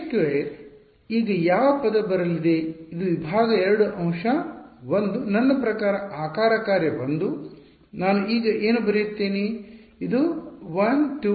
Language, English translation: Kannada, k squared, what term will come now this is segment 2 element 1; I mean shape function 1, what will I come now so, this is 1 2 3 4